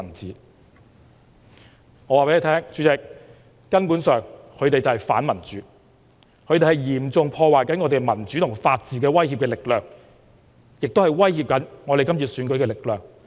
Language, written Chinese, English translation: Cantonese, 主席，我可以告訴大家，他們根本就是反民主，是嚴重破壞香港民主法治的威脅力量，也是正在威脅今次選舉的力量。, President I can tell everyone that they are anti - democratic threatening and seriously damaging the rule of law in Hong Kong . This is also the force that is threatening the election